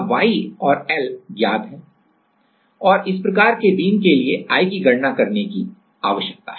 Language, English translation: Hindi, Now, y and l are given and I we need to calculate and for this kind of beam